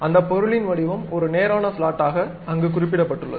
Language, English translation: Tamil, The object shape is clearly mentioned there as straight slot